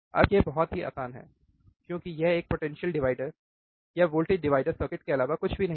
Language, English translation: Hindi, Now this is very easy, because this is nothing but a potential divider voltage divider circuit